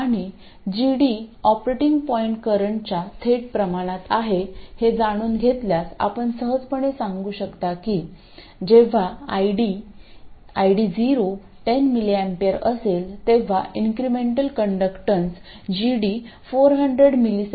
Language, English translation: Marathi, 9 but we say it is 25 okay and knowing that GD is directly proportional to the operating point current you can easily tell tell that when ID0 is 10m amp, then GD, that incremental conductance will be 400 Millezm and the incremental resistance will be 2